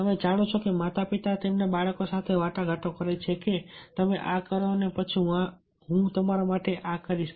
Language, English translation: Gujarati, you know, parents are negotiating with their children that, ok, you do this and then i will do this for you